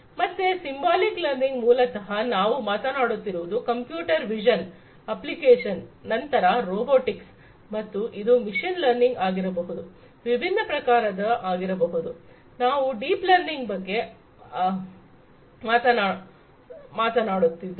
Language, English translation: Kannada, So, symbolic learning, basically, we are talking about applications in computer vision, then, robotics and this can be machine learning, can be of different types; we have already talked about deep learning